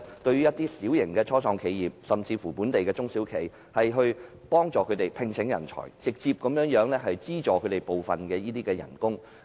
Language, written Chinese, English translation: Cantonese, 對於小型的初創企業及本地中小企，我建議政府考慮協助他們聘請人才並直接資助部分薪酬。, For small start - ups and local SMEs the Government should consider assisting them in recruiting talent and directly subsidizing part of the salaries